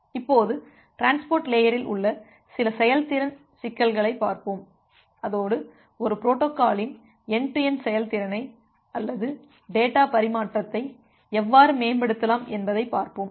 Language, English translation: Tamil, So now, we look into certain performance issues in transport layer and along with that we will look into that how we can improve the end to end performance of a protocol or during the data transmission